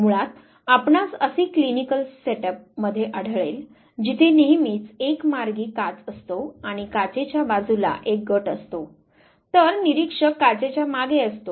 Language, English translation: Marathi, Basically, you would find in clinical set up where there is always one way glass and one group is and other side of the class, whereas the observer is behind the class